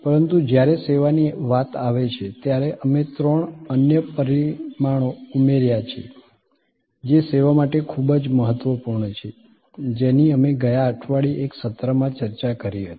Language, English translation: Gujarati, But, when it comes to service, we have added three other dimensions which are very important for service, which we discussed in one of the sessions last week